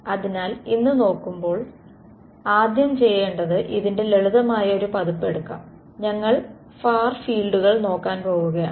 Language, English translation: Malayalam, So, looking at this the first thing to do is let us take a simple simplified version of this, when we say that we are going to look at what are called far fields ok